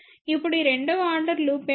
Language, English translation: Telugu, Now, what is this second order loop